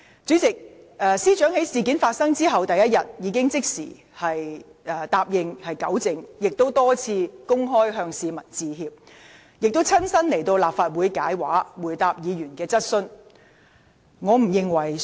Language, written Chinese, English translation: Cantonese, 主席，司長在事件發生後第二日，已即時答應作出糾正，並多次公開向市民致歉，以及親身到立法會回答議員的質詢。, President on the second day after the incident had been reported the Secretary for Justice immediately pledged to make rectifications . In addition she repeatedly apologized publicly to the people of Hong Kong and came to the Legislative Council to respond to Members questions in person